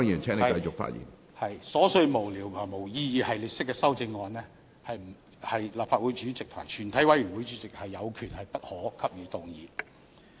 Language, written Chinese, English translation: Cantonese, 對於瑣屑無聊或沒有意義的系列式修正案，立法會主席和全體委員會主席是有權予以不可動議。, Regarding frivolous or meaningless amendments that are in a series the President or the Chairman of the committee of the whole Council may order them not to be moved